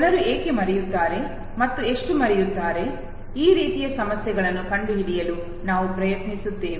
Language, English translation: Kannada, We will try to make out why people forget, how much they forget and issues like this